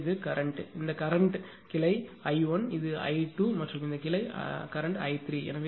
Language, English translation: Tamil, So, this is the this is the current; this is the current this branch is i 1; this is it i 2 right and this branch current is i 3 right